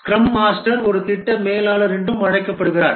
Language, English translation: Tamil, The scrum master is also called as a project manager